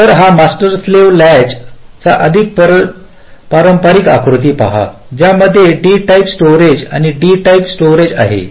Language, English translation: Marathi, so this is the more conventional diagram of a master slave latch consisting of a d type storage and another d type storage